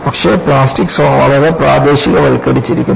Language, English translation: Malayalam, But, the plastic zone is very highly localized